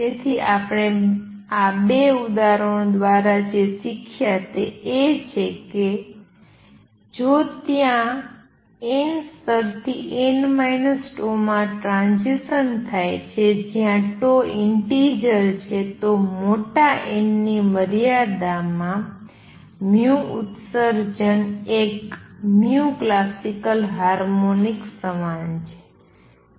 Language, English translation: Gujarati, So, what we have learned through these 2 examples is that if there is a transition from nth level to n minus tau th tau is also an integer then in the limit of large n, right, the nu emission emitted is equal to a harmonic of nu classical